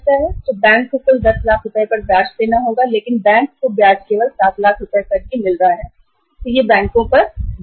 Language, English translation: Hindi, So bank has to pay the interest on the total 10 lakh rupees but bank is getting the interest only on the 7 lakh rupees